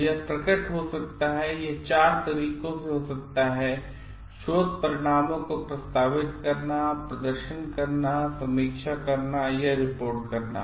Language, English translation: Hindi, So, it can appear it can happen in 4 things; proposing, performing, reviewing or in reporting research results